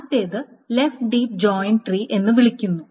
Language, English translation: Malayalam, So the first one is called a left deep joint tree